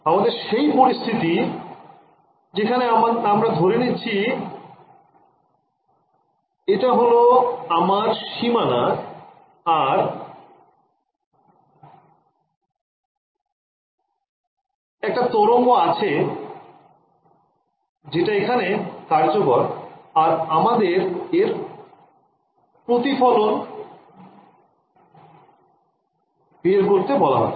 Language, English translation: Bengali, We have the situation we are considering is this is my boundary and I have a wave that is incident over here and we are asking that is there a reflection